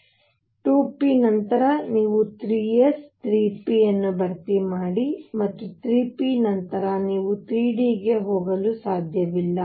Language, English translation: Kannada, And after 2 p you fill 3 s, 3 p, and after 3 p you cannot go to 3 d